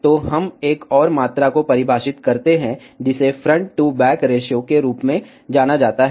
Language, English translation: Hindi, So, we define another quantity, which is known as front to back ratio